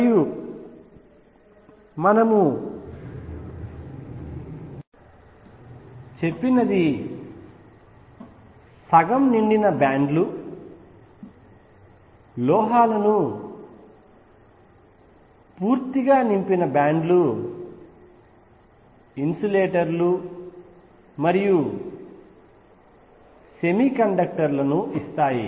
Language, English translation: Telugu, And what we have said is half filled bands give metals fully filled bands give insulators and semiconductors